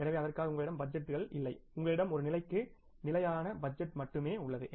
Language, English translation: Tamil, So, for that you don't have the budgets because you have only static budget for one level